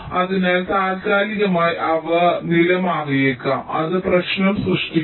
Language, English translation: Malayalam, so temporarily they might, the status might change and that creates the problem, right